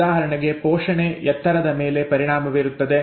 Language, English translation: Kannada, For example nutrition affects height